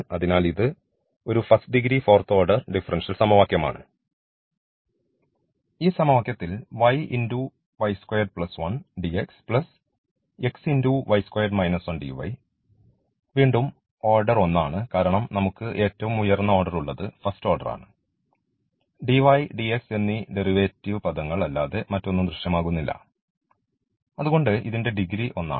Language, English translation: Malayalam, So, here the order is 4 and the degree is 1 in this equation again the order is 1 because we have the highest order is the first order like, dy dx term will be present here nothing else or the first order differentials are present in this case and the degree is also 1